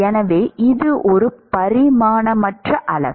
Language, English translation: Tamil, So, this is a dimensionless quantity